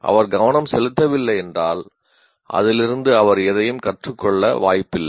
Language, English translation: Tamil, If it doesn't pay attention, there is no possibility of his learning anything from that